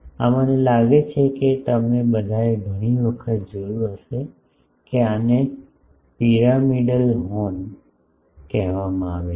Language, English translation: Gujarati, This I think all of you have seen many times that this is called pyramidal horn